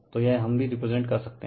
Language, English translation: Hindi, So, this we also can represent